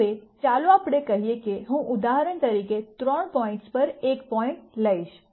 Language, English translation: Gujarati, Now let us say I take a point on three points for example